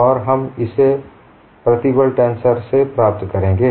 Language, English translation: Hindi, And we know, what is the stress tensor